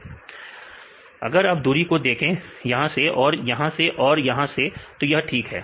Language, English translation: Hindi, Because the distance Distance; if you see the distance from this one and this one and this one; so this fine